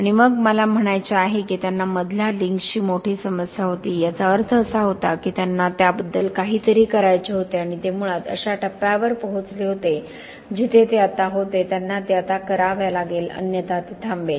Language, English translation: Marathi, And then there was, I mean, the fact that they had a big problem with the middle Links, meant that they had to do something about it, and they basically reached a stage where it was now, they had to do it now otherwise it would stop